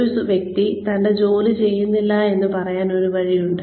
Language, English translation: Malayalam, There is a way of telling a person, that they are not doing their work